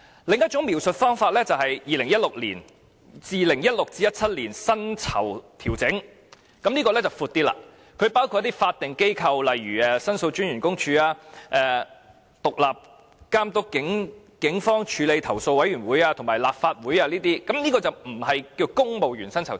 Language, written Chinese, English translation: Cantonese, 另一種描述方法就是 "2016-2017 年度薪酬調整"，這項原因範圍闊一點，包括一些法定機構，例如申訴專員公署、獨立監察警方處理投訴委員會和立法會行政管理委員會等。, Another way of description is 2016 - 2017 pay adjustment which is a reason of broader coverage including some statutory bodies such as the Office of The Ombudsman Independent Police Complaints Council and the Legislative Council Secretariat